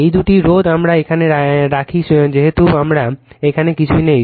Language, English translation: Bengali, These two resistance we put it here, right as we as we nothing is here